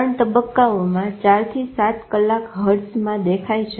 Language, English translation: Gujarati, Stage 3, 4 had gone into 4 to 7 hertz